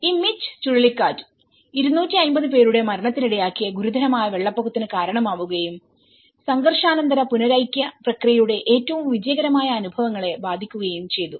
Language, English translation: Malayalam, This hurricane Mitch has produced the serious floods killing 250 people and affecting the most successful experiences of the post conflict reintegration process